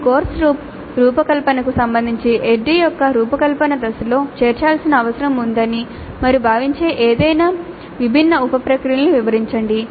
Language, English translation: Telugu, Describe any different sub processes you consider necessary to be included in the design phase of ID with respect to designing your course